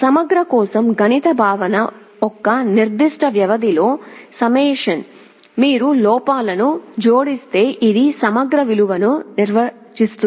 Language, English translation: Telugu, For integral the mathematical concept is summation over a certain period of time, if you just add up the errors this will define the value of the integral